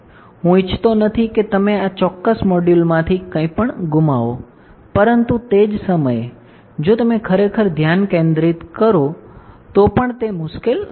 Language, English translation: Gujarati, So, I do not want you to miss anything out of this particular module, but at the same time it is not that difficult also if you really focus right